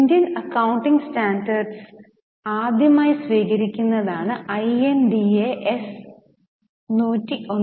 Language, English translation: Malayalam, So, INDS is first time adoption of Indian accounting standards